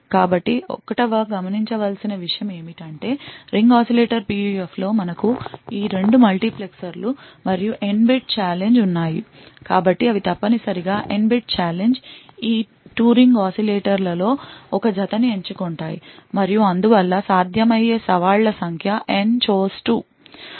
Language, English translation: Telugu, So, the 1st thing to note is that in Ring Oscillator PUF we have these 2 multiplexers here and N bit challenge, so they are essentially N bit challenge is choosing a pair of these 2 ring oscillators and therefore the number of challenges possible is N chose 2